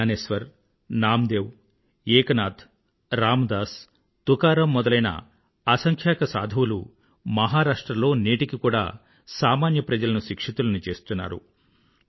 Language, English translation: Telugu, Innumerable saints like Gyaneshwar, Namdev, Eknath, Ram Dass, Tukaram are relevant even today in educating the masses